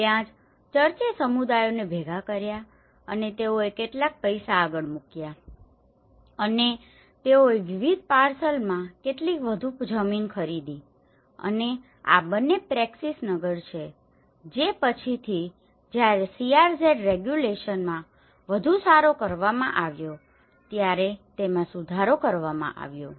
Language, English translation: Gujarati, That is there the church have gathered the communities and they put some money forward and they bought some more land in different parcels and these two are Praxis Nagar which were later amended when the CRZ regulation has been further amended